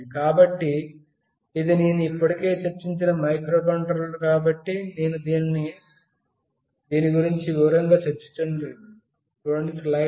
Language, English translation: Telugu, So, this is the microcontroller I have already discussed, so I am not discussing in detail about this